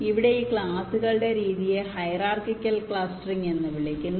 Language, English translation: Malayalam, this classes of methods are called hierarchical clustering